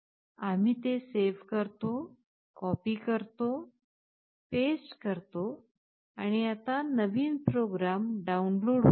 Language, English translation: Marathi, We save it, we copy this, we paste it and the new program is getting downloaded